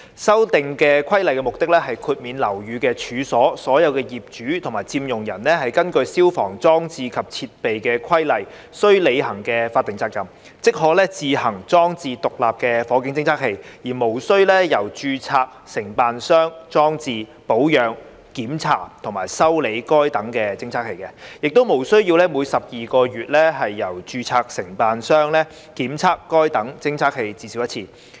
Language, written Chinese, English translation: Cantonese, 修訂規例的目的，是豁免樓宇及處所的所有業主及佔用人根據《消防規例》須履行的法定責任，即可自行裝置獨立火警偵測器，而無須由註冊承辦商裝置、保養、檢查或修理該等偵測器，亦無須每12個月由註冊承辦商檢測該等偵測器至少一次。, The purpose of the Amendment Regulation is to exempt all owners and occupiers of buildings and premises from the statutory obligation under the Fire Service Regulations . In other words they can install stand - alone fire detectors SFDs themselves without having such detectors installed maintained inspected or repaired by a registered contractor; and such detectors are not required to be inspected by a registered contractor at least once in every 12 months